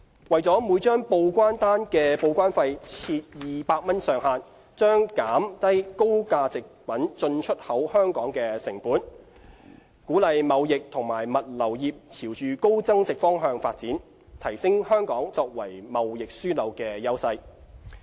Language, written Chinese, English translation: Cantonese, 為每張報關單的報關費設200元上限，將減低高價值貨品進出口香港的成本，鼓勵貿易及物流業朝高增值方向發展，提升香港作為貿易樞紐的優勢。, Capping TDEC charge for each declaration at 200 will lower the cost of importing and exporting high - value goods into and from Hong Kong encourage the trading and logistics industry to move up the value chain and thereby enhance Hong Kongs advantages as a trading hub